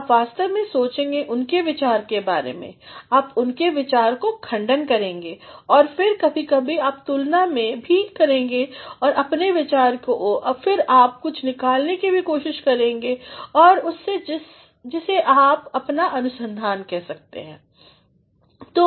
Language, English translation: Hindi, You actually think over their ideas, you contradict with their ideas, and then sometimes you also compare your idea and then you also try to take something out of that which you call your research